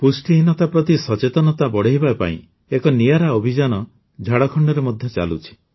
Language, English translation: Odia, A unique campaign is also going on in Jharkhand to increase awareness about malnutrition